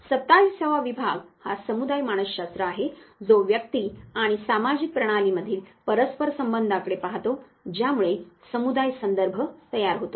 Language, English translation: Marathi, The 27 division is that of the community psychology which looks at the reciprocal relationships between individuals and social systems which constitute the community context